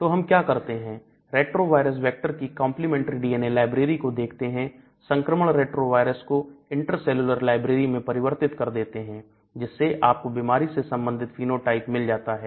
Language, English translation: Hindi, So, what we do is we look at the complementary DNA library in a retroviral vector infection converts this retroviral into intracellular library so you get the disease related phenotype